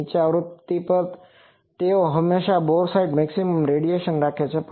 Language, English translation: Gujarati, At lower frequencies they are always having boresight maximum radiation